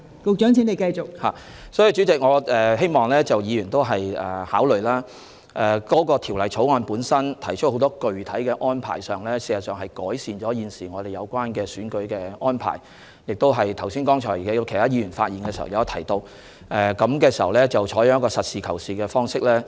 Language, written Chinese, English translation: Cantonese, 所以，代理主席，我希望議員考慮，《條例草案》提出很多具體的建議，事實上是改善了現時的選舉安排，剛才有議員發言時亦提到，應採取實事求是的態度。, Therefore Deputy President I hope Members will take into account that the Bill has put forward specific proposals which will indeed improve the existing electoral arrangements . As pointed out by some Members earlier on we should adopt a pragmatic attitude